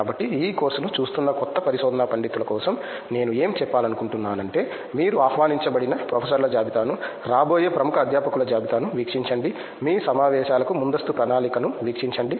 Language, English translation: Telugu, So the suggestion what I would like to give for the new research scholars who are watching this course is plan ahead for your conferences when you are going see the list of invited professors are, list of eminent faculty which are who are coming